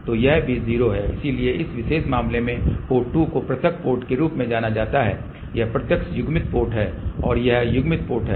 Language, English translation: Hindi, So, in this particular case port 2 is known as isolated port, this is direct coupled port and this is coupled port